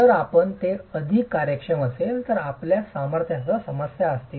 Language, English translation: Marathi, If you make it too workable, then you're going to have problems with strength